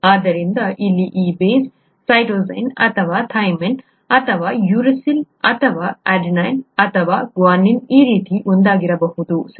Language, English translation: Kannada, So this base here could be one of these kinds, either a cytosine or a thymine or uracil or an adenine or a guanine, okay